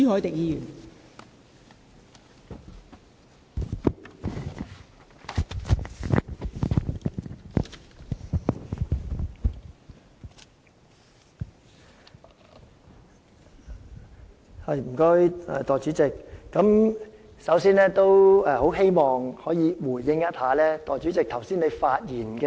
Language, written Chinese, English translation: Cantonese, 代理主席，我首先希望回應一下代理主席剛才的發言。, Deputy President first I would like to respond to what Deputy President has said just now